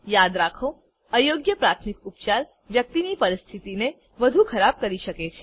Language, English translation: Gujarati, Remember, wrong first aid can make ones condition worse